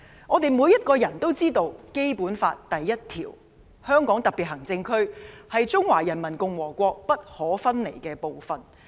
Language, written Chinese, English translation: Cantonese, 我們每個人都知道，《基本法》第一條"香港特別行政區是中華人民共和國不可分離的部分"。, We all know Article 1 of the Basic Law stipulates that [t]he Hong Kong Special Administrative Region is an inalienable part of the Peoples Republic of China